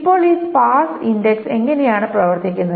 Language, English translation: Malayalam, Now, how does this sparse index works